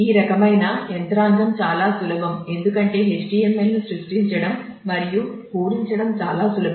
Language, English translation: Telugu, So, this kind of a mechanism is makes it very easy because a it is quite easy to conceive of the HTML and fill in